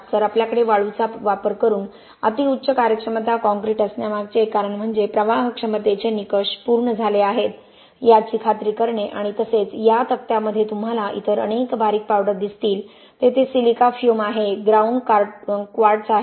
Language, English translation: Marathi, So one reason why we have most ultra high performance concrete using sand is to make sure that flowability criteria is satisfied and also you will see in these tables a lot of other fine powders, there is silica fume, there is ground quartz